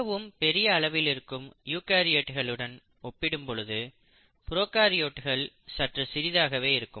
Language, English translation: Tamil, You find that prokaryotes are fairly smaller in size compared to eukaryotes which are much larger